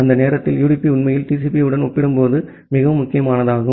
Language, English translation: Tamil, And during that time UDP is actually going to be more important compared to TCP